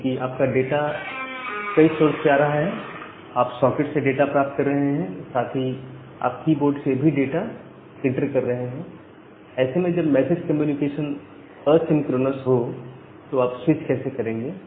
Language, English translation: Hindi, Because your data is coming from multiple places, you are getting data from the socket as well as you are entering data from the keyboard, how you actually switch between this multiple thing, where this message communication is asynchronous